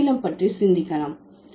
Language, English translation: Tamil, We might think about English